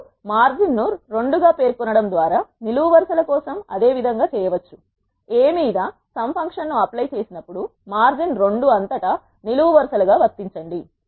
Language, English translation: Telugu, You can do the same for the columns by specifying the margin as 2 which says, apply the sum function on A across the margin 2 which is the columns